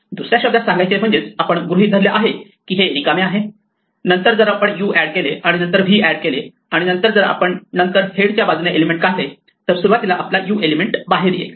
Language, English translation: Marathi, In other words assuming that this is empty then if we add u and add v and then remove the head we should get back first element that we put in namely u